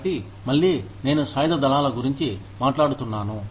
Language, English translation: Telugu, So, in again, I keep talking about the armed forces